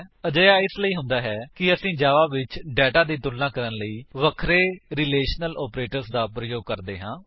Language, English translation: Punjabi, This is how we use the various relational operators to compare data in Java